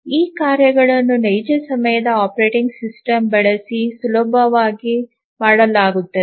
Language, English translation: Kannada, So, these are easily done using a real time operating system